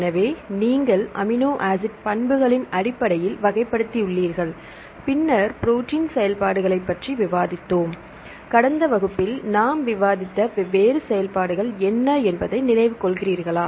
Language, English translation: Tamil, So, you have classified based on the amino acids properties, then we discussed about protein functions do you remember what are the different functions we discussed in the last class; enzymes, antigens, antibodies, structural proteins